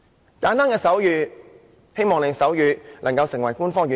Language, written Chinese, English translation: Cantonese, 很簡單的手語，希望手語能成為官方語言。, This is very simple sign language expressing the hope that sign language can be made an official language